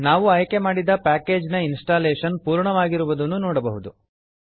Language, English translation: Kannada, We can see that the installation of selected package is completed